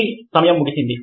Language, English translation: Telugu, ok, your time is out